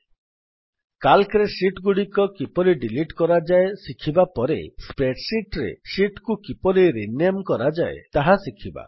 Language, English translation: Odia, After learning about how to delete sheets in Calc, we will now learn how to rename sheets in a spreadsheet